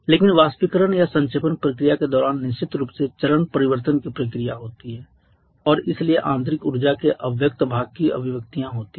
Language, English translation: Hindi, But during the evaporation or condensation process that is definitely phase change process and so manifestations of the latent part of the internal energy